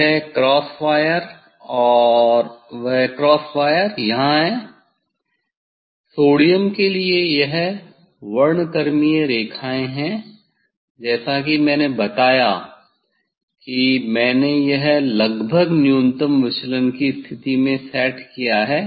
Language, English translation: Hindi, this corsair and that is the corsair here this spectral lines for sodium as I told this I set almost that is at the minimum deviation position